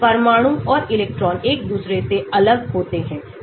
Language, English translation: Hindi, nuclear and electrons are distinguished from each other